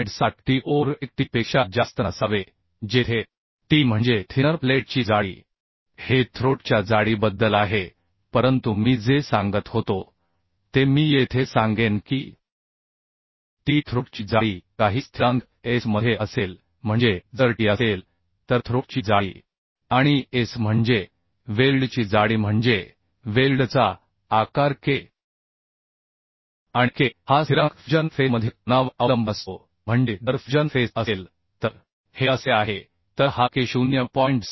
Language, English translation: Marathi, 7t or 1t under special circumstances where t is the thickness of thinner plate This is about the uhh throat thickness but what I was telling uhh I will here that the T throat thickness will be uhh with some constant into S that means throat thickness if t is the throat thickness and S is the thickness of the weld means size of the weld then K and K is the constant depends upon the angle between fusion face that means if fusion face is like this then uhh this K cannot become 0